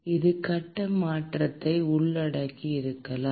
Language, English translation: Tamil, It may involve phase change